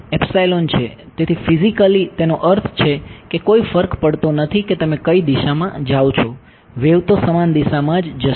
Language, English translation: Gujarati, Epsilon so, physically what does it mean that no matter which direction you go the wave experiences the same medium